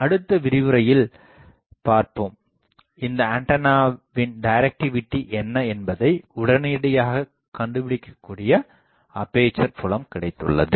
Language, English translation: Tamil, In the next lecture we will see now, we have got the aperture field we can immediately find out what is the directivity of this antenna